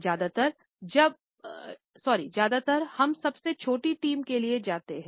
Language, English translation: Hindi, Often times, we go for the shortest team